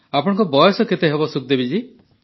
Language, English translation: Odia, how old are you Sukhdevi ji